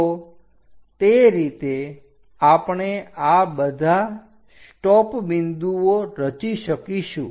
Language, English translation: Gujarati, So, in that way, we will construct all these stop points